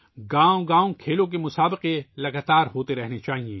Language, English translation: Urdu, In villages as well, sports competitions should be held successively